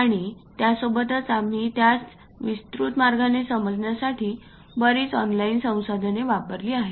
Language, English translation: Marathi, And over that we use many online resources cover it in a extensive way